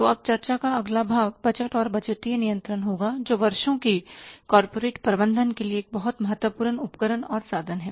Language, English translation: Hindi, So, now the next part of discussion will be the budgets and the budgetary control, which is a very important tool and instrument for managing the corporate affairs